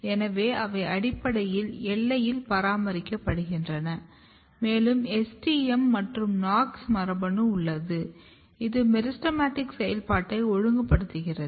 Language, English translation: Tamil, So, they are basically maintaining the boundary then, you have STM and KNOX gene which is regulating the meristematic activity